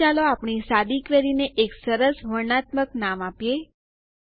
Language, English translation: Gujarati, Here let us give a nice descriptive name to our simple query